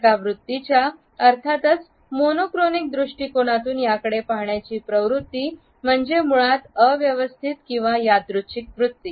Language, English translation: Marathi, The tendency to view this attitude from a monochronic perspective is to view them as basically chaotic or random